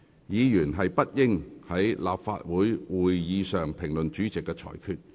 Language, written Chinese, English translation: Cantonese, 議員不應在立法會會議上評論主席的裁決。, Members should not comment on the Presidents ruling during a Council meeting